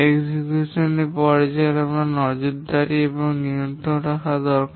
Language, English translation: Bengali, In the execution phase we need to do monitoring and control